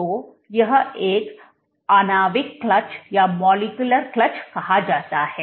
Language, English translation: Hindi, So, this is called a molecular clutch